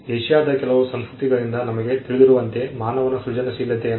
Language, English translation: Kannada, Human creativity as we know from certain Asian cultures